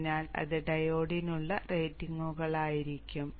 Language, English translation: Malayalam, So these would be the ratings for the diode